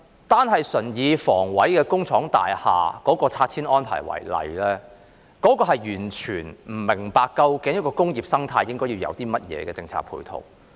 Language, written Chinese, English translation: Cantonese, 單純以香港房屋委員會工廠大廈的拆遷安排為例，完全不明白究竟一個工業生態應該要有甚麼政策配套。, Take the demolition of factory estates under the Hong Kong Housing Authority HA as an example . We do not understand what kind of policy support is required for an industrial ecology